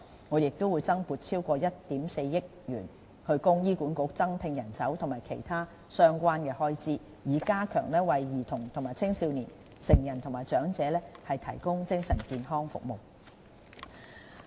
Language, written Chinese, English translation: Cantonese, 我們亦會增撥超過1億 4,000 萬元，供醫管局增聘人手和應付其他相關開支，以加強為兒童及青少年、成人和長者提供的精神健康服務。, We will also provide an extra provision of 140 million to HA to recruit additional staff and meet other relevant expenditures with a view to enhancing metal health services for children adolescents adults and elderly